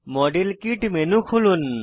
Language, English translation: Bengali, Open the model kit menu